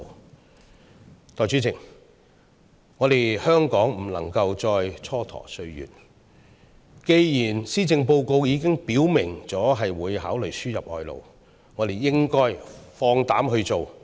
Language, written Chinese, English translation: Cantonese, 代理主席，香港不能夠再蹉跎歲月了，既然施政報告已經表明會考慮輸入外勞，我們便應該放膽去做。, Deputy President Hong Kong can no longer tolerate delays . Since the Policy Address has indicated that importation of labour will be considered we should muster our courage to put it into practice